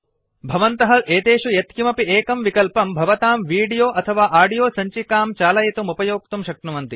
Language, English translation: Sanskrit, You can use any of these options to play your video or audio files